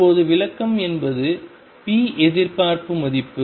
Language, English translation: Tamil, Now for the interpretation of is p expectation value